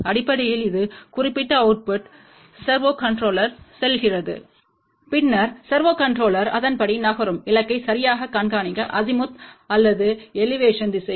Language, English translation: Tamil, Basically this particular output goes to the servo controller, then servo controller will accordingly move in the Azimuth or Elevation direction to track the target properly